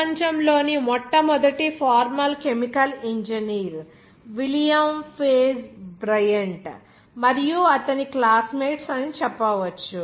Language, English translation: Telugu, You can say that the world’s first formal chemical engineer was ‘William Page Bryant’ and his classmates